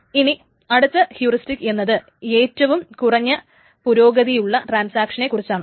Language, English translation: Malayalam, The other heuristic is that the transaction with the least progress